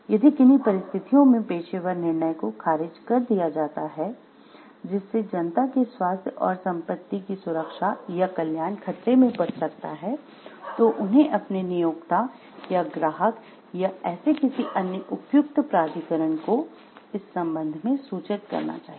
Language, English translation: Hindi, If the professional judgment is overruled under circumstances, where the safety health and property or welfare of the public are endangered, they shall notify their employer or client and such other authority as may be appropriate